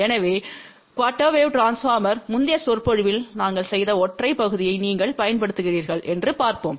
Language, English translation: Tamil, So, let us see if you use single section which we had done in the previous lecture of a quarter wave transformer